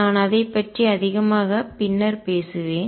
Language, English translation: Tamil, And I will talk about it more later